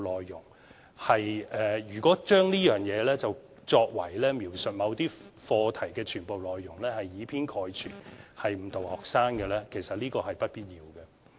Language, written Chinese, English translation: Cantonese, 如果將這些手法當作為描述某些課題的全部內容，認為是以偏概全、誤導學生的話，其實是不必要的。, One simply should not regard this approach as any attempt to oversimplify the contents of certain topics or thinks that it is simplistic and misleading